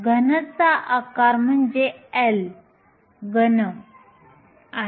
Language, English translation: Marathi, The volume of the cube is nothing, but L cube